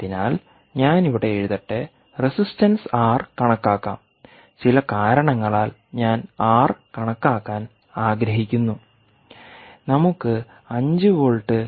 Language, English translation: Malayalam, so if you do, ah, if you want to calculate the resistance r, this will simply be five volts minus